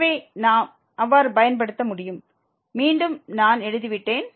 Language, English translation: Tamil, and therefore, we can apply so, again I have written down